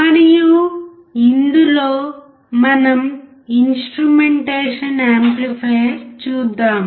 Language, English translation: Telugu, And in this one we will look at the instrumentation amplifier